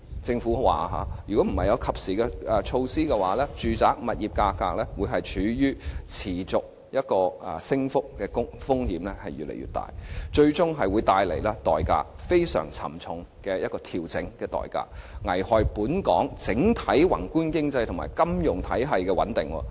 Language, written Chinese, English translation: Cantonese, 政府表示，若不及時推出措施，住宅物業價格處於持續升幅的風險越來越大，最終會帶來非常沉重的調整代價，危害本港整體宏觀經濟及金融體系穩定。, According to the Government if timely measures were not implemented there was an increasing risk that residential property prices would continue to rise eventually precipitating a very costly adjustment and endangering the overall stability of the macroeconomic and financial system in Hong Kong